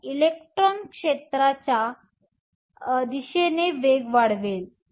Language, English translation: Marathi, So, the electron will accelerate in the direction of the field